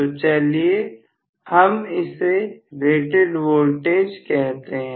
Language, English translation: Hindi, So, let me call probably this as rated voltage